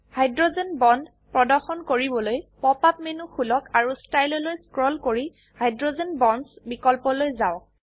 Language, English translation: Assamese, To display hydrogen bonds: Open the pop up menu and scroll down to Style and then to Hydrogen Bonds option